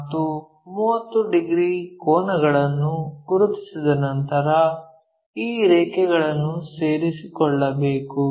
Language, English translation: Kannada, And, there 30 angles we have to locate join these lines